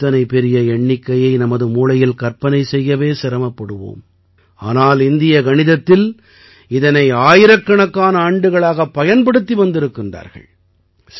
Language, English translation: Tamil, Even if we imagine such a large number in the mind, it is difficult, but, in Indian mathematics, they have been used for thousands of years